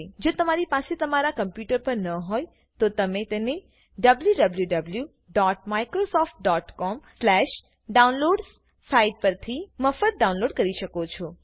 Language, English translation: Gujarati, If you do not have it on your computer, you can download it free of cost from the site www.microsoft.com/downloads